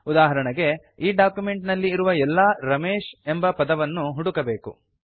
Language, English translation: Kannada, For example we have to search for all the places where Ramesh is written in our document